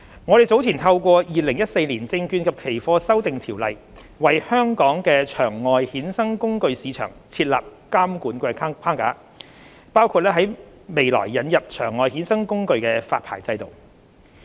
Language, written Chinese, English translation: Cantonese, 我們早前透過《2014年證券及期貨條例》，為香港的場外衍生工具市場設立監管框架，包括在未來引入場外衍生工具發牌制度。, An OTC derivative regulatory framework was established in Hong Kong earlier under the Securities and Futures Amendment Ordinance 2014 including the future introduction of the OTC derivative licensing regime